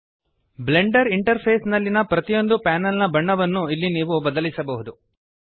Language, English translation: Kannada, Here you can change the color of each panel of the Blender interface